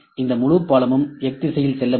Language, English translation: Tamil, This whole bridge can move in X direction this whole bridge can move in X direction